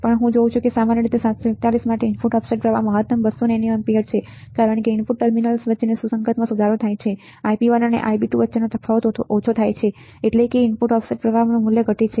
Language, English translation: Gujarati, Then I see that the input offset current for typical 741 is 200 nano ampere maximum as the matching between into input terminals is improved the difference between Ib1 and Ib2 become smaller that is the input offset current value decreases further right